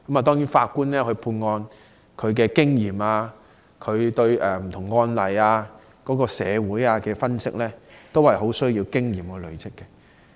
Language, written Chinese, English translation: Cantonese, 當然，法官判案的經驗、對不同案例及社會的分析能力，都是很需要經驗累積而成。, Certainly a judges experience in adjudicating cases and his power of analysing different precedents and issues of society has to be gained in time